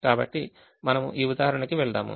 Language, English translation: Telugu, so we go to this example